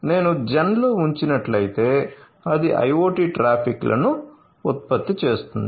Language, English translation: Telugu, So, if I place on gen then it is going to generate the IoT traffics ok